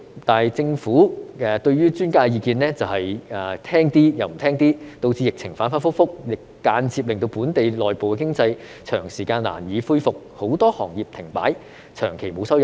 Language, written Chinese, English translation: Cantonese, 但是，政府對於專家的意見是聽一點，不聽一點，導致疫情反反覆覆，間接令本地內部經濟長時間難以恢復，很多行業停擺，長期沒有收入。, However the Government has adopted some opinions of the experts but not others which resulted in the volatile epidemic situation and indirectly made the local economy unable to recover for a long time . Many businesses have come to a standstill and failed to generate any income for a prolonged period